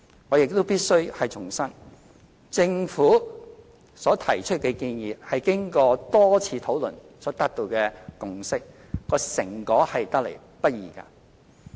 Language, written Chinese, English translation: Cantonese, 我亦必須重申，政府所提出的建議是經過多次討論所達到的共識，成果得來不易。, I must reiterate that any proposal put forward by the Government is the consensus reached by both sides after thorough discussions and it is not easy to come by